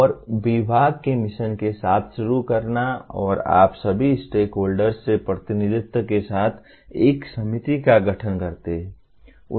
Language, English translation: Hindi, And starting with the mission of the department and you constitute a committee with representation from all stakeholders